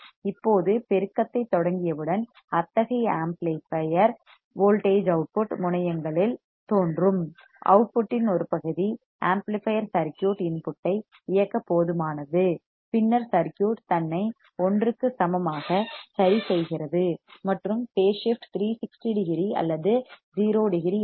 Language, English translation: Tamil, Now, once we start the amplification such amplifier voltage appears at the output terminals, a part of output is sufficient to drive the input of the amplifier circuit, then the circuit adjusted itself to equal to 1, and phase shift is 360 degree or 0 degree